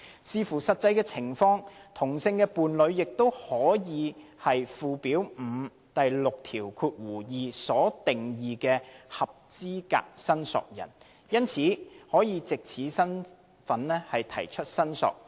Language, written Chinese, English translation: Cantonese, 視乎實際情況，同性伴侶亦可以是附表5第62條所定義的"合資格申索人"，因而可藉此身份提出申索。, A same - sex partner depending on the actual circumstances may also be an eligible claimant and as such claim for the return of the ashes